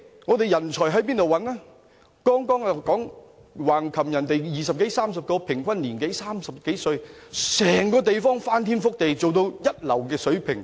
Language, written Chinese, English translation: Cantonese, 我剛才提到橫琴有二十多三十個規劃隊員，平均年齡30多歲，把整個地方翻天覆地，做到一流水平。, As I have said before in Hengqin a team of 20 to 30 planners at the median age of mid - thirties have brought revolutionary changes and first - class developments to the place